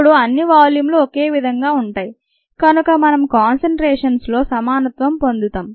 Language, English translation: Telugu, now, since all the volumes are the same, we get equality in concentrations